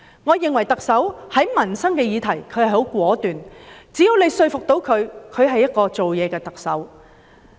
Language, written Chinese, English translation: Cantonese, 我認為特首在民生議題上很果斷，只要可以說服她，她是一個做事的特首。, I think the Chief Executive has been decisive in addressing livelihood issues . If she is convinced she is a Chief Executive of action